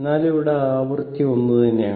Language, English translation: Malayalam, So, in the because the frequency is same